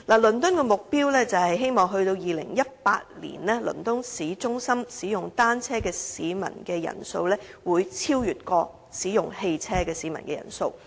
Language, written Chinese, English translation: Cantonese, 倫敦的目標是在2018年，倫敦市中心使用單車的市民人數會超越使用汽車的市民人數。, The target set by London is that by 2018 the number of people riding bicycles in central London should be greater than the number of people driving vehicles